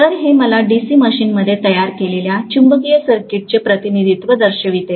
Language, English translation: Marathi, So this shows me the representation of the magnetic circuit that is created in a DC machine, fine